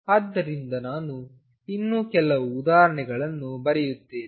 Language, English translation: Kannada, So, let me just write some more examples